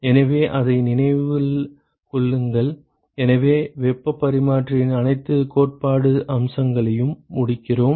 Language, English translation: Tamil, So, remember that, so we sort of finish all the theoretical aspects of heat exchangers